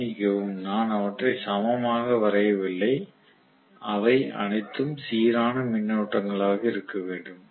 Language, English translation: Tamil, I am sorry am not drawing them equally well they should all be balanced currents obviously okay